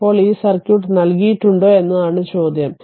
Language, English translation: Malayalam, Now, question is it is given your this circuit is given